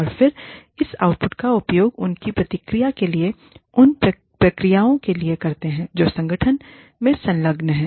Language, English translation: Hindi, And then, we use this output, for our feedback to the processes, that the organization engages in